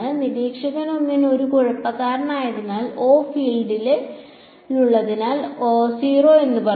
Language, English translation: Malayalam, Observer 1 being a mischief says oh field inside a 0